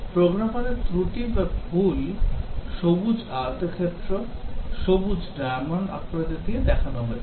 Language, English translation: Bengali, The programmer commits the error or mistake and these we are showing by these green rectangles green diamonds